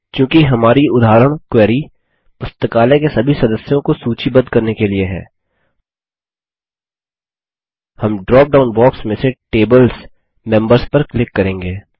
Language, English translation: Hindi, Since our example query is about getting a list of all the members of the Library, we will click on the Tables: Members from the drop down box